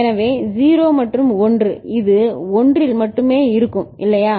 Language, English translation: Tamil, So, 0 and 1 it will remain at 1 only, isn’t it